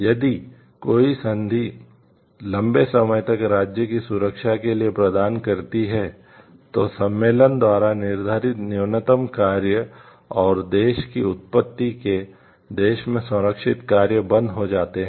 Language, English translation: Hindi, In case a contracting state provides for a longer term of protection, and the minimum prescribed by the convention and the work ceases to be protected in the country of origin